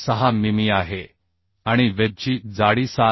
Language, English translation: Marathi, 6 mm and thickness of web is 7